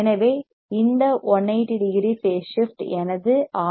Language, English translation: Tamil, So, this 180 degree phase shift is provided to my RC network